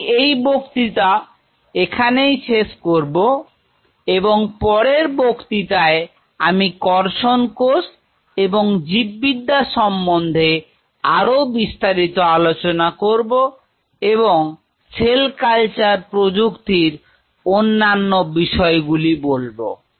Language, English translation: Bengali, I will close in here in the next class we will talk little bit more about the biology of the cultured cell before we move on to the other aspect of cell culture technology